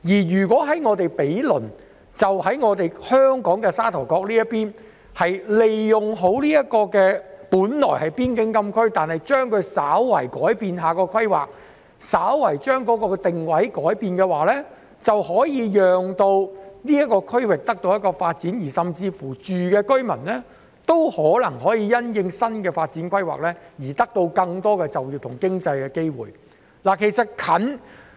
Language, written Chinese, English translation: Cantonese, 如果毗鄰的香港沙頭角能善用本來是邊境禁區的土地，稍為改變規劃及改變定位，便可讓這個區域得到發展，而當地居民亦可能因新的發展規劃而獲得更多就業和經濟發展的機會。, If Sha Tau Kok on Hong Kong side can make good use of the land which was originally FCA by slightly changing its planning and positioning the area will be enable to develop and the local residents may also benefit from the new planning in development by having more opportunities for employment and economic development